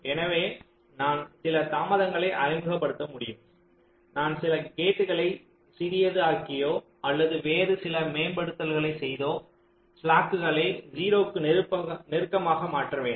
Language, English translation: Tamil, ok, so i can introduce some delays, i can make some gets smaller, i can do some other kind of optimizations so as to make this slacks as close to zero as possible